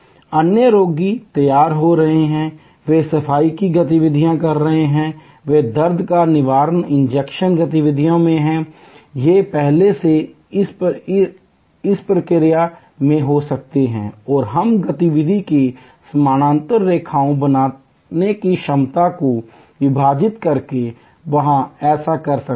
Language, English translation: Hindi, Other patients are getting ready, they are cleaning activities, they are pain killer injection activity, these are may be already in the process and we can there by splitting the capacity creating parallel lines of activity